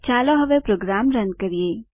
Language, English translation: Gujarati, Let us Run the program now